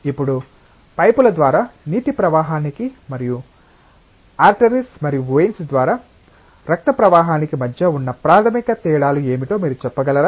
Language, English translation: Telugu, Now, can you tell what are the basic differences between flow of water through pipes and flow of blood through arteries and veins